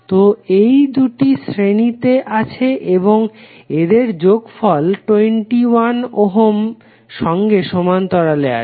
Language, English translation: Bengali, So these 2 are in series and their summation would be in parallel with 21 ohm